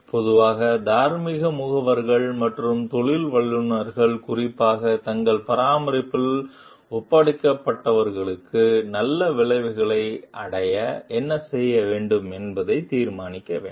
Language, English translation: Tamil, Moral agents in general and professionals in particular must decide what to do best to achieve good outcomes for those who were entrusted in their care